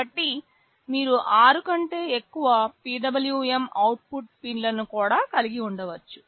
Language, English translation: Telugu, So, you can have more than 6 PWM output pins also